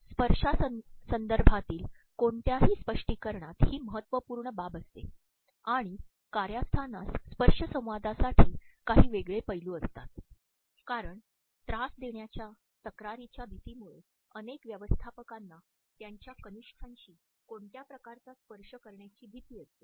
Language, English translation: Marathi, In any interpretation of touch context is critically important and the workplace is a somewhat unique setting for tactile interaction, because of harassment concerns which have caused many managers to fear any type of touch with their subordinates